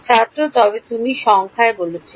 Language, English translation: Bengali, But you said numerical